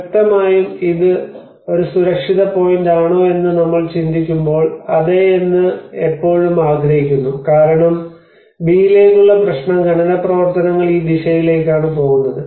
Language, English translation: Malayalam, Obviously when we think about if it is a safer point we always prefer yes we may move to A because in B the problem is the mining activity is going in this direction